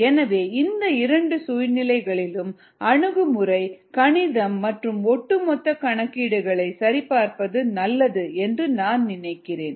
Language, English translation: Tamil, so under both these situations, i think it's good to check the approach the ah math and the over all calculations